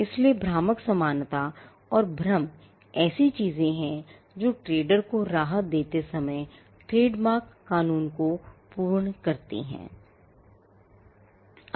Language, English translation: Hindi, So, deceptive similarity and confusion are things that trademark law fill factor in while granting a relief to a trader